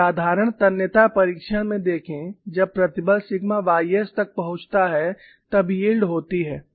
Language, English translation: Hindi, See, in a simple tension test when the stresses reach sigma y s, yielding takes place